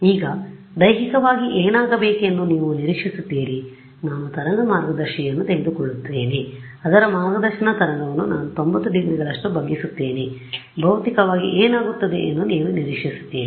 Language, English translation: Kannada, Now, what do you expect physically to happen I take a waveguide its guiding a wave I bend it by 90 degrees what would you expect will happen physically